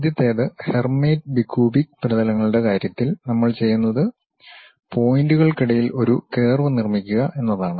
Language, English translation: Malayalam, The first one, in terms of Hermite bi cubic surfaces, what we do is we construct a curve between points